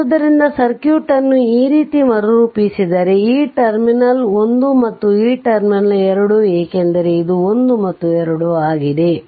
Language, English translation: Kannada, So, if you if you redraw the circuit like this; this terminal is 1 and this terminal is 2 because this is 1, this is 2, this is1, this is 2